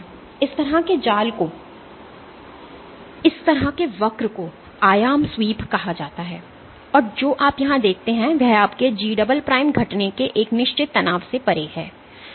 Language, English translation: Hindi, So, this kind of a net this kind of a curve is called an amplitude sweep, and what you see here is beyond a certain strain your G prime decreases